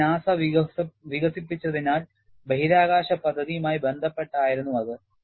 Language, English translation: Malayalam, Because it is developed by NASA, they were concerned with a space program